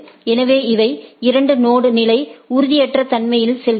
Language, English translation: Tamil, So, these goes on a two node level instability